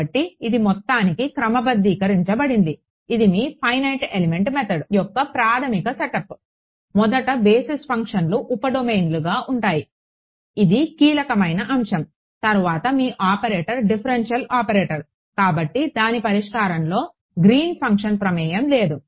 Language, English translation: Telugu, So, this is sort to the sum it up this is your basic setup of finite of element method is that; first of all the basis functions are sub domain that is a key point next your operator is a differential operator therefore, there is no Green’s function involved in its solution